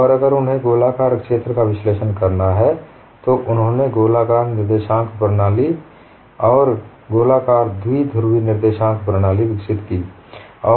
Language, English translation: Hindi, So they develop skewed coordinate system, and they if they have to analyze swear, they had developed spherical coordinate system and spherical bipolar coordinate system